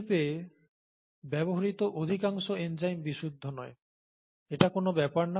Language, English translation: Bengali, Most enzymes used in the industry are not pure, that doesn’t matter